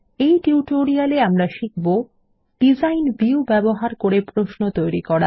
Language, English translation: Bengali, In this tutorial, we will learn how to Create a query by using the Design View